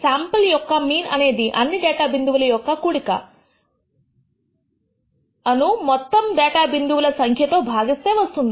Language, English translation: Telugu, The mean of a sample is defined as the summation of all the data points that you obtain divided by the number of datapoints that you have